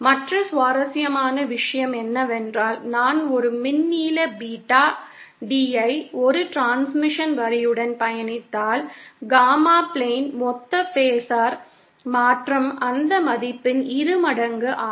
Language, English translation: Tamil, Other interesting thing is that if I traverse an electrical length Beta D along a transmission line, the total phasor change on the Gamma plane is twice of that value